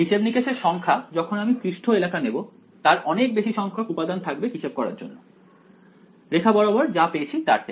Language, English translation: Bengali, The computation number of computation as I take a surface area will have more number of elements to calculate then just the line around it